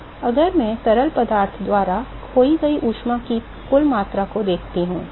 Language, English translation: Hindi, Now if I look at the total amount of heat that is lost by the fluid